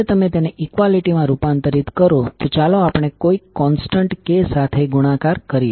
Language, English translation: Gujarati, So when you converted into equality, let us multiply with some constant k